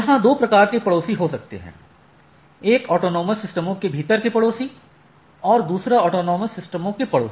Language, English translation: Hindi, So, there are there can be two type of neighbors, the neighbors within the autonomous system and neighbor across the autonomous systems